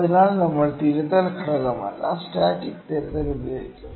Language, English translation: Malayalam, So, we will use static correction, not correction factor, ok